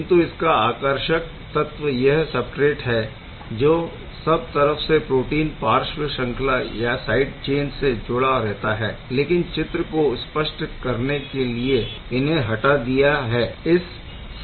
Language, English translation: Hindi, But the fascinating factor is substrate is right over there of course, there are protein side chain which are omitted for here for clarity